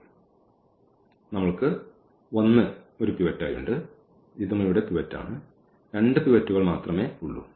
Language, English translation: Malayalam, So, we have this one as a pivot and this is also pivot here, only there are two pivots